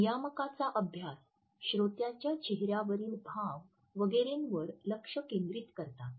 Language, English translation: Marathi, The studies of regulators focus on the facial expressions, etcetera in the listener